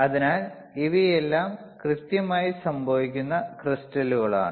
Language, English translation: Malayalam, So, these are all synthetically occurring crystals